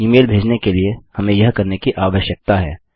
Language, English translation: Hindi, We need to do this in order to send the email